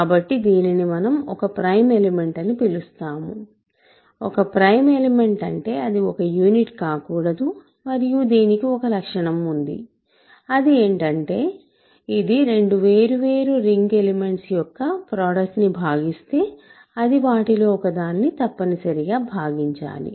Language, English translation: Telugu, So, this is what we call a prime element, a prime element is one which is not a unit and it has a property that if it divides a product of two elements two other ring elements, it must divide one of them